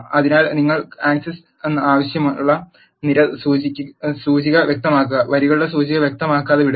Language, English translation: Malayalam, So, specify the column index which you want access and leave the rows index unspecified